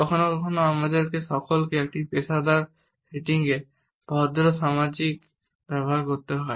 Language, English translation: Bengali, Sometimes all of us have to use polite socialize in our professional settings